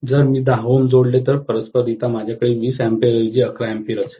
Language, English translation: Marathi, If I connect 10 ohms, then correspondingly I will have 11 amperes only instead of 20 amperes